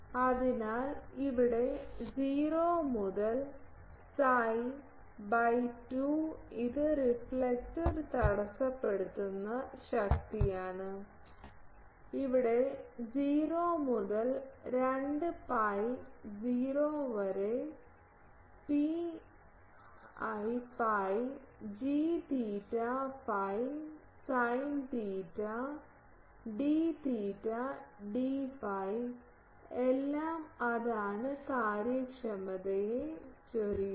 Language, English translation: Malayalam, So, here 0 to psi by 2 this is the power intercepted by the reflector and here 0 to 2 pi 0 to pi g theta phi sin theta d theta d phi that is all, that is spillover efficiency ok